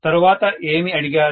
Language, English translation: Telugu, what is being asked next